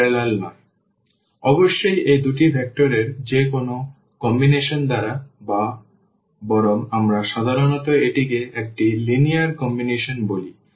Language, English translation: Bengali, So, certainly by any combination of these two vectors or rather we usually call it linear combination